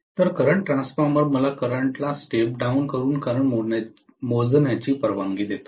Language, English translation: Marathi, So, current transformer allows me to measure the current by stepping down the current